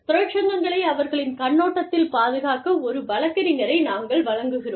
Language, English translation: Tamil, And, we provide a lawyer, to defend the unions, from their perspective